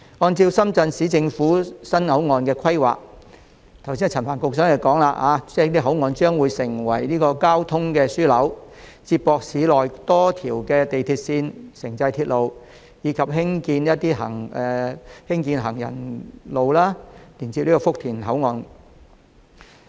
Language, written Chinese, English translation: Cantonese, 按照深圳市人民政府的新口岸規劃，正如陳帆局長剛才所說，該口岸將成為交通樞紐，接駁市內多條地鐵線、城際鐵路，以及興建行人路連接福田口岸。, According to the port development plan of the Shenzhen Municipal Government and as described by Secretary Frank CHAN just now the redeveloped Huanggang Port will become a transportation hub which provides connectivity to a number of urban metro lines and intercity railway lines as well as a footpath leading to the Futian Port